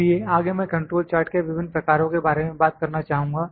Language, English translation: Hindi, So, next I will like to talk about the types of control charts